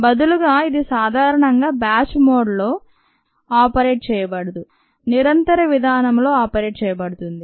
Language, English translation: Telugu, it is normally not operated in a batch mode, it is operated in a continuous mode